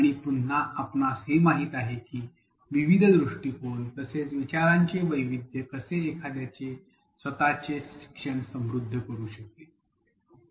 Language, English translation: Marathi, And again we know how the diversity of ideas the various perspectives can enrich one’s own learning